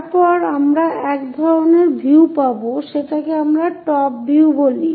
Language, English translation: Bengali, Then, we will get one kind of view, that is what we call top view